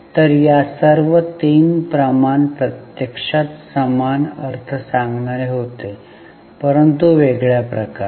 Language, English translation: Marathi, So, all these three ratios actually were essentially same, conveying the same meaning but in a different way